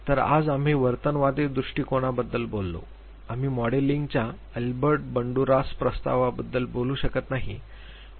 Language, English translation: Marathi, So, today we talked about the behaviorist view point we could not talk about Albert Banduras proposition of modeling